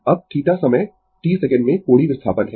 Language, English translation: Hindi, Now, theta is the angular displacement in time t second